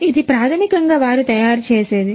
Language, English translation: Telugu, So, this is basically what they make